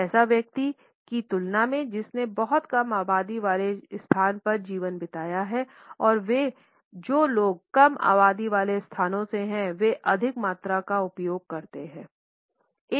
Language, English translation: Hindi, In comparison to a person who has spent a life time in sparsely populated place and those people who are from less populated places tend to use a higher volume